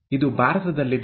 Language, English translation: Kannada, This is in India